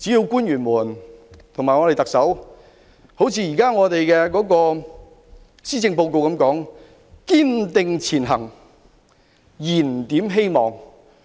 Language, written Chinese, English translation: Cantonese, 官員及特首應一如現時施政報告所說，"堅定前行燃點希望"。, The officials and the Chief Executive should as stated in the present Policy Address strive ahead and rekindle hope